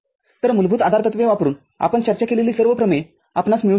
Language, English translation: Marathi, So, using the basic postulates you can get all the theorems that we have discussed